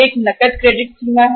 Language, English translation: Hindi, One is the cash credit limit